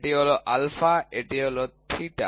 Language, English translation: Bengali, This is your alpha, this is your theta